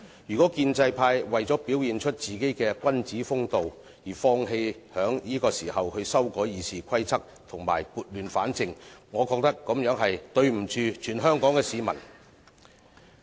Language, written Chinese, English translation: Cantonese, 如果建制派為了表現君子風度，而放棄在此時修改《議事規則》和撥亂反正，我覺得這樣是對不起全香港市民。, They have only themselves to blame . If the pro - establishment camp gives up amending RoP and bringing order out of chaos at this juncture for the sake of acting like gentlemen I think they have let all Hong Kong people down